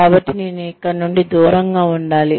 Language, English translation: Telugu, I need to get away, from here